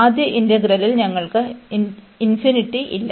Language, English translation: Malayalam, In the first integral, we have no infinity